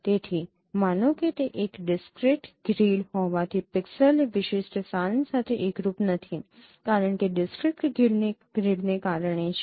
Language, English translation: Gujarati, So suppose this since it is a discrete grid, so if the pixel does not coincide with that particular location because of discrete grids you can interpolate